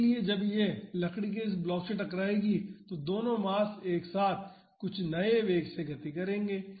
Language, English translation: Hindi, So, when it hits this wooden block the both the masses they will move together with some new velocity